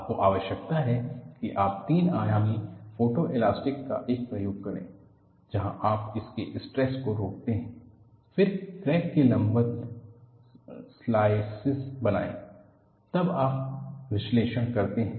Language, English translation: Hindi, What you need to do is, you need to do an experiment of three dimensional photo elasticity, where you do the stress () of this; then make slices perpendicular to the crack; then you analyze